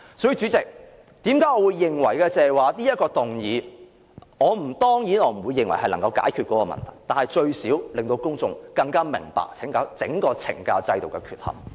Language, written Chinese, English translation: Cantonese, 所以，主席，我當然不會認為提出這項議案便能解決問題，但最少可令公眾更明白整個懲教制度的缺憾。, President surely I will not believe that we can resolve the problem merely by moving this motion yet at least we can publicly expose the defects in the correctional services system